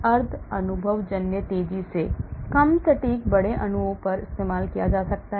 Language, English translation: Hindi, semi empirical faster less accurate can be used on large molecules